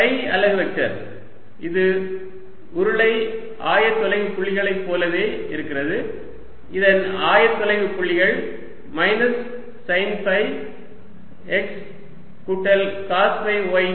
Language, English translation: Tamil, phi unit vector, it's pretty much the same, like in the cylindrical coordinates, and its coordinates are going to be therefore minus sine of phi x plus cosine of phi y